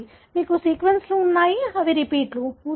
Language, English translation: Telugu, You have sequences, which are repeats